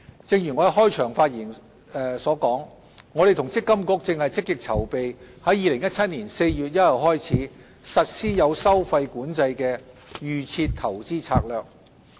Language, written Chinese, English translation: Cantonese, 正如我在開場發言所說，我們與積金局正積極籌備於2017年4月1日起，實施有收費管制的"預設投資策略"。, As I said in my opening remarks we and MPFA are making active preparations for a fee - controlled Default Investment Strategy DIS to be implemented from 1 April 2017